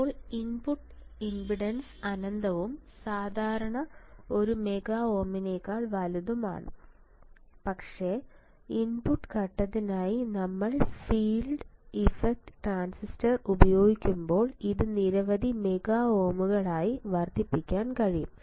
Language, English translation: Malayalam, Now input impedance is infinite and typically greater than one mega ohm, but using FETs for input stage it can be increased to several mega ohms you see when we use field effect transistor the input impedance will increase to several 100s of mega ohms